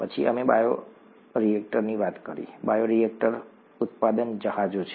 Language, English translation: Gujarati, Then we talked of bioreactors; bioreactors are the production vessels